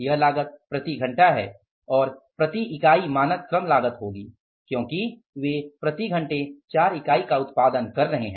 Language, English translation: Hindi, This cost is per hour and standard labour cost per unit is going to be because they are producing 4 units per hour